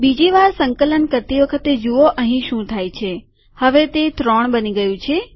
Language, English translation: Gujarati, On second compilation see what happens here – now it has become three